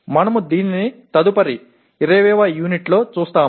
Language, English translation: Telugu, That is what we will be doing in the next unit that is U20